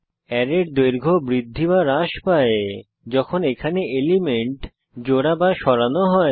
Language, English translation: Bengali, Array length expands/shrinks as and when elements are added/removed from it